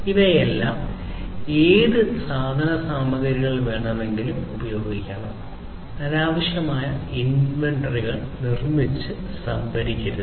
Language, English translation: Malayalam, So, all of these things whatever inventory would be required should be used, and not unnecessary inventories should be used built up and procured